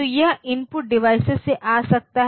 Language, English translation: Hindi, So, it can come from the input devices